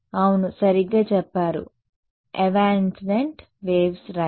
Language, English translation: Telugu, Yeah, correct say that again evanescent waves right